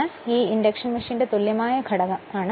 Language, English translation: Malayalam, So, this is the equivalent circuit of the induction machine right